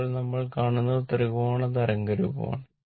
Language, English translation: Malayalam, And, this one, now next one is this is triangular waveform